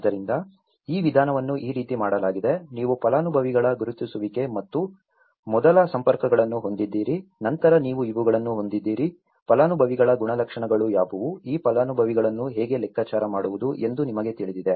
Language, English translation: Kannada, So, this is how the methodology has been done, you have the identification of the beneficiaries and the first contacts, then you have these, what is characteristics of the beneficiaries, you know how do one figure out these beneficiaries